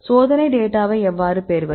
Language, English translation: Tamil, Then how to get the experimental data